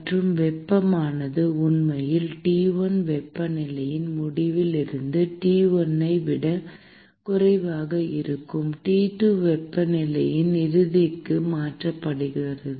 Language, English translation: Tamil, And the heat is actually transferred from the end whose temperature is T1 to the end whose temperature is actually T2, which is lower than T1